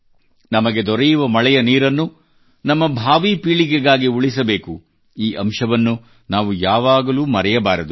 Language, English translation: Kannada, The rain water that we are getting is for our future generations, we should never forget that